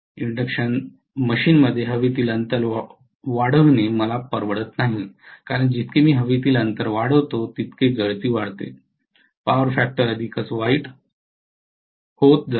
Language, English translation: Marathi, Whereas in induction machine I cannot afford to increase the air gap because the more I increase the air gap the leakage will increase, the power factor will become worse and worse